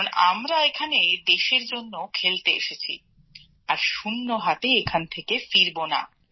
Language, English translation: Bengali, Because we have come here for the country and we do not want to leave empty handed